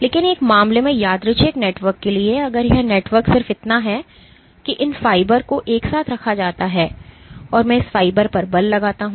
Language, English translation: Hindi, But if I for this random network let us say I had this random network in one case if this network is just that these fibers are put together and I exert force on this fiber